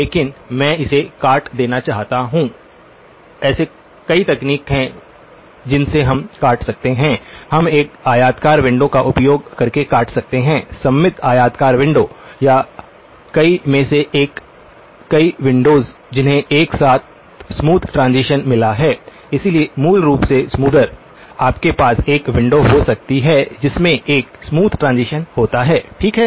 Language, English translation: Hindi, But I want to truncate it, there are several ways in which we can truncate, we can truncate using a rectangular window; symmetric rectangular window or one of many, many windows which have got a smooth transition, smoother than so basically, you can have a window that that has a smooth transition, okay